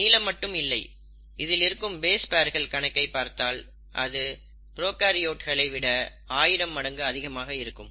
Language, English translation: Tamil, And not just long, if you look at the number of base pairs it has, it's about thousand fold bigger than the prokaryotes